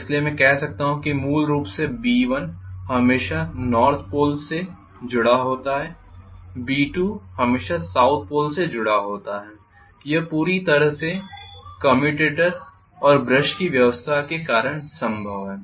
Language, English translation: Hindi, So I can say basically B1 is always affiliated to North Pole and B2 is always affiliated to South Pole this entire thing is possible because of commutator and brush arrangement